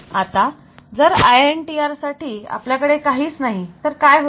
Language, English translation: Marathi, Whereas, for INTR you do not have anything so for INTR what happened